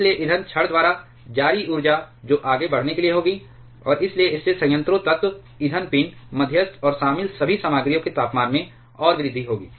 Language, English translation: Hindi, So, energy released by the fuel rods that will for the rise further, and hence that will cause further increase in the temperature of the reactor core, the fuel pin, the moderator and all the materials involved